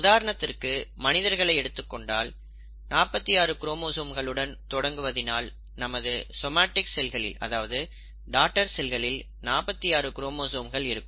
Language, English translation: Tamil, So if a cell starts with forty six chromosomes, each daughter cell will end up having forty six chromosomes